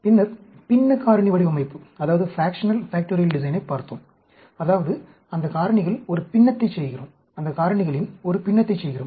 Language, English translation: Tamil, Then, we looked at the fractional factorial design, that means, doing a fraction of those factorials